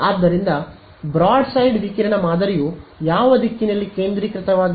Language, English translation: Kannada, So, the broadside radiation pattern is something which is focused in which direction